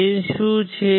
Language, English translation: Gujarati, What is a gain